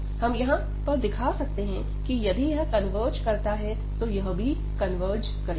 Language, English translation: Hindi, So, we can here also show that this converges, so this also converges